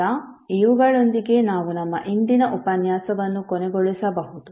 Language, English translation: Kannada, So now with these, we can close our today’s session